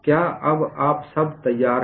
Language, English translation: Hindi, Are you all ready